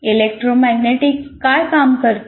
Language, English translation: Marathi, What does electromagnetics deal with